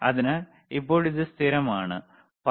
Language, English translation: Malayalam, Now this is constant, you see 15